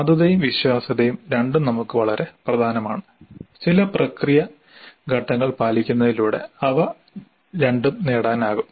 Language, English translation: Malayalam, So, the validity and reliability both are very important for us and both of them can be achieved through following certain process steps